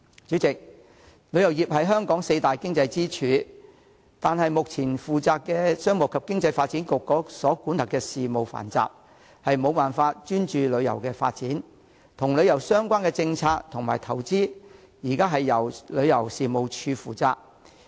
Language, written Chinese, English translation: Cantonese, 主席，旅遊業是香港四大經濟支柱之一，但負責旅遊業的商務及經濟發展局管轄的事務繁雜，無法專注旅遊發展，因此與旅遊相關的政策及投資現時交由旅遊事務署負責。, Chairman the tourism industry is one of the four economic pillars in Hong Kong . However the Commerce and Economic Development Bureau which is in charge of the industry is unable to focus on tourism development as it has to deal with numerous affairs . As a result tourism - related policies and investment are now brought under the ambit of the Tourism Commission